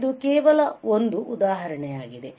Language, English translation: Kannada, So, this is a just an example